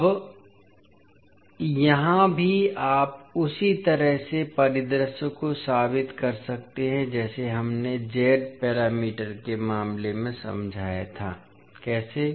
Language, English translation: Hindi, Now here also you can prove the particular scenario in the same way as we explained in case of Z parameters, how